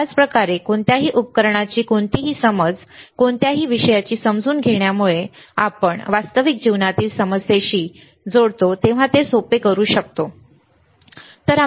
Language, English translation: Marathi, Same way any understanding of any devices understanding of any subject can we make easier when we connect it to a real life problem, all right